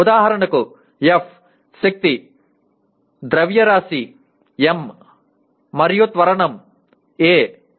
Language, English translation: Telugu, For example F is force, mass is m and acceleration is a